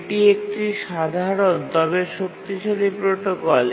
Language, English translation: Bengali, And that's the simple protocol